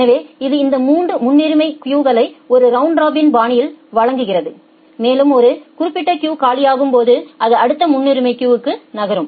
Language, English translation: Tamil, So, it serves this 3 priority queues in a round robin fashion and whenever one particular queue becomes empty it moves to the next priority queue